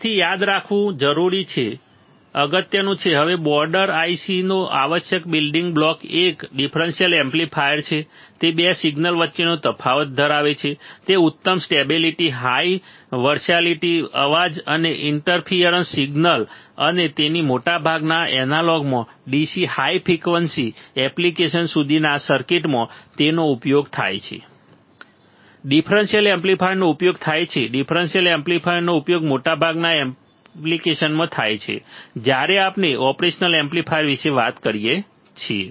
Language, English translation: Gujarati, So, that is the very important to understand very important to remember now the essential building block of border I c is a differential amplifier it amplifies the difference between 2 signals has excellent stability high versality high versatility immune to noise and interference signal and hence in most of the analog circuits ranging from DC to high frequency applications the it is used the differential amplifier is used differential amplifier is used in most of the most of the application when we talk about the operational amplifier, all right, easy; easy to understand very easy, right